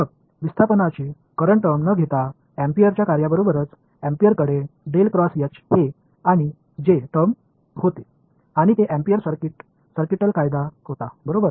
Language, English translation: Marathi, Then comes along the work of Ampere without the displacement current term so, Ampere had this del cross H and a J term and that was Ampere circuital law right